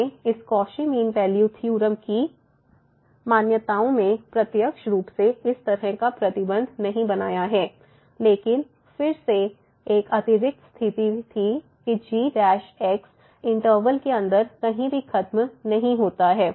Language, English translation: Hindi, We have not made such a restriction directly in the assumptions of this Cauchy mean value theorem , but again there was an additional condition that does not vanish anywhere inside the interval